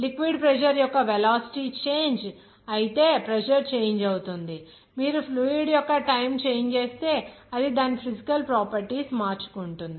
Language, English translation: Telugu, Pressure will change if you change in velocity of liquid pressure will change if you change the type of fluid that is its physical properties